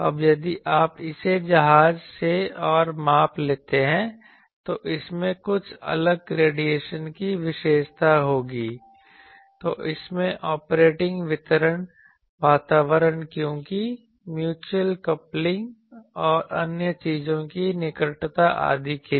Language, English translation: Hindi, Now it is if you take it from ship and measure it will have some different radiation characteristic, then in it is operating environment because, of mutual coupling and proximity of other things etc